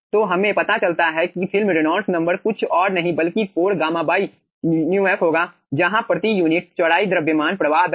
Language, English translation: Hindi, okay, so we find out film reynolds number will be nothing but 4 gamma by mu f, where gamma is the mass flow rate per unit width